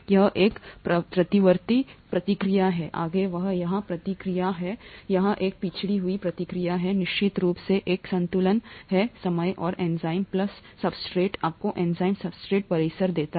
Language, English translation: Hindi, There is a reversible reaction here, forward, there is a forward reaction here, there is a backward reaction here, there is an equilibrium at certain time and enzyme plus substrate gives you the enzyme substrate complex